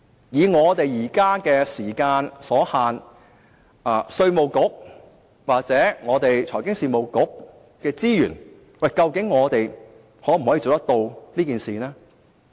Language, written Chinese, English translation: Cantonese, 由於時間所限，稅務局或財經事務及庫務局的資源，究竟可否做到這事？, Due to the time constraint can IRD or the Financial Services and the Treasury Bureau meet the requirement with its existing resources?